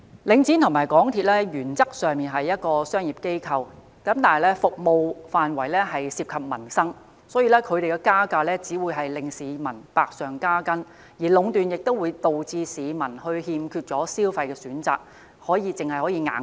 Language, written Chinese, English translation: Cantonese, 領展和港鐵原則上雖為商業機構，但其服務範圍涉及民生，因此他們加價只會令市民百上加斤；而壟斷亦會導致市民欠缺消費選擇，只能"硬食"。, Though Link REIT and MTRCL are basically commercial organizations their services concern peoples livelihood so any price hike by them will impose additional burdens on the public